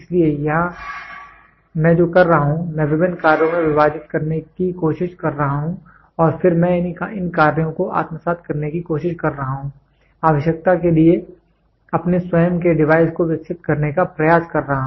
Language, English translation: Hindi, So, here what I am doing is I am trying to split into various functions and then am I trying to assimilate these functions, try to develop my own device for the requirement